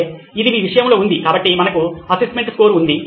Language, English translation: Telugu, Okay, which is in your case, so we have assessment score